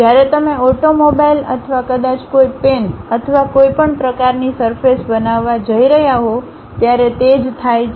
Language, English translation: Gujarati, Same thing happens when you are going to create an automobile or perhaps a pen or any kind of surface